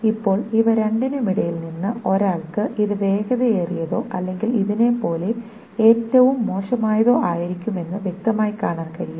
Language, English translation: Malayalam, Now, between these two, one can clearly see that this is going to be faster or at least as worse as this thing